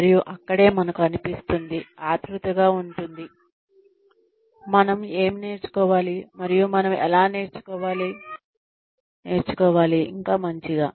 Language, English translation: Telugu, And, that is where, we feel, anxious about, what we should learn, and how we should learn, it better